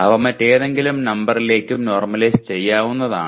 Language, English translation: Malayalam, They can also be normalized to any other number